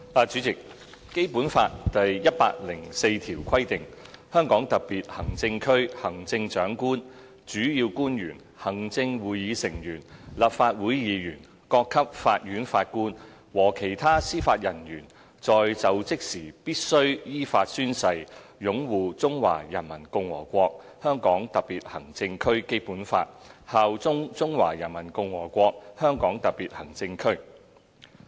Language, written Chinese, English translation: Cantonese, 主席，《基本法》第一百零四條規定︰"香港特別行政區行政長官、主要官員、行政會議成員、立法會議員、各級法院法官和其他司法人員在就職時必須依法宣誓擁護中華人民共和國香港特別行政區基本法，效忠中華人民共和國香港特別行政區。, President Article 104 of the Basic Law provides that [w]hen assuming office the Chief Executive principal officials members of the Executive Council and of the Legislative Council judges of the courts at all levels and other members of the judiciary in the Hong Kong Special Administrative Region HKSAR must in accordance with law swear to uphold the Basic Law of HKSAR of the Peoples Republic of China PRC and swear allegiance to HKSAR of PRC